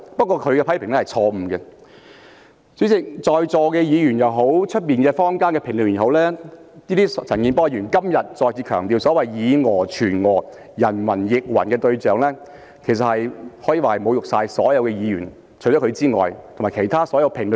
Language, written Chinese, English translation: Cantonese, 代理主席，對於在座議員也好，外面坊間的評論員也好，陳健波議員在今天再次強調所謂以訛傳訛，人云亦云時所針對的對象，可以說是侮辱所有議員和其他所有評論員。, Deputy President to the Members sitting here and to the commentators in the community the target of Mr CHAN Kin - por today and when he stressed again the so - called phenomenon of people relaying erroneous messages and echoing the views of others it can be viewed as an insult to all of them